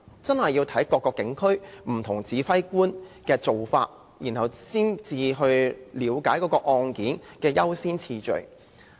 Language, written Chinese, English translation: Cantonese, 這視乎各個警區不同指揮官的做法，才可了解案件的優先次序。, The priority of cases depends on the practices of various commanders in different police districts